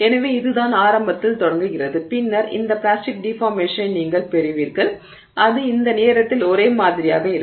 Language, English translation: Tamil, So, this is what has starts off initially, then you get this plastic deformation which is at that point uniform